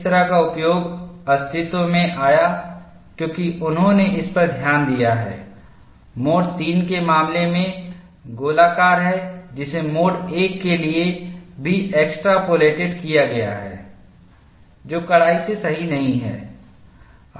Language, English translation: Hindi, That kind of utilization came into existence, because they have looked at the shape is circular in the case of mode 3, which is extrapolated to for mode 1 also, which is not strictly correct